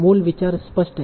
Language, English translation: Hindi, So this is a simple idea